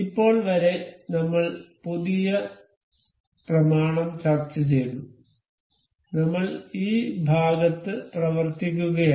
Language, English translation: Malayalam, Up till now we have discussed the new document, we were we have been working on this part